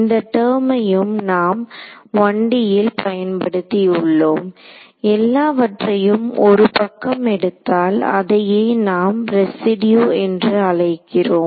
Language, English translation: Tamil, So, that is also what was the term we had used in 1D, the residual when I took everything onto 1 side I called it the residue right